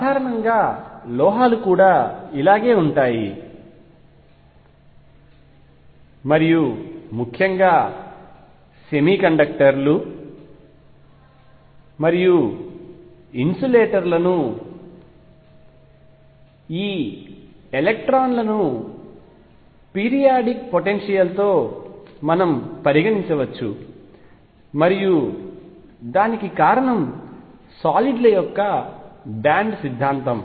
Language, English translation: Telugu, In general metals are also like this and in particular semiconductors and insulators can be explained through this electrons being considered in a periodic potential, and what gives rise to is the band theory of solids